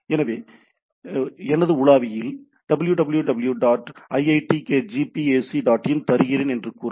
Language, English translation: Tamil, So, say I give “www dot iitkgp ac dot in” in my browser